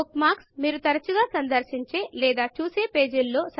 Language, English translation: Telugu, Bookmarks help you navigate to pages that you visit or refer to often